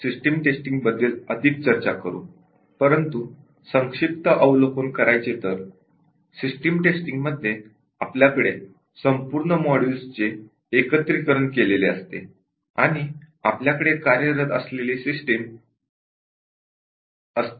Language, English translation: Marathi, But as a brief overview in the system testing we have the entire set of modules integrated and we have the system that is working